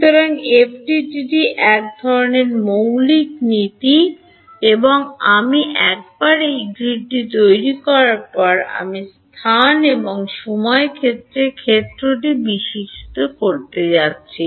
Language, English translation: Bengali, So, one of the sort of basic principles in FDTD is that once I get the once I make this grid I am going to evolve the field in space and time